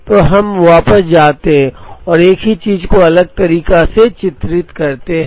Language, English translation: Hindi, So now, let us go back and represent the same thing pictorially in a different manner